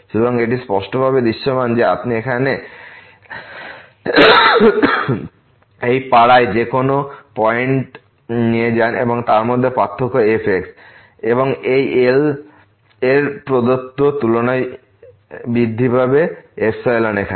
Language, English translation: Bengali, So, it is clearly visible that you take any point in this neighborhood here and then, the difference between the and this will increase than the given epsilon here